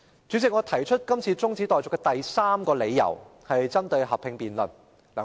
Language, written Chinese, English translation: Cantonese, 主席，我今次提出中止待續議案的第三個理由針對合併辯論。, President the third reason for my moving the motion of adjournment this time around is targeted at the joint debate . Maybe we can do a little bit of calculation